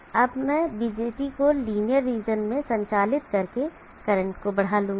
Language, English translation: Hindi, Now I will boost the current by having BJT operated in the linear region